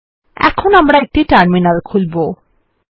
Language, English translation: Bengali, First we open a terminal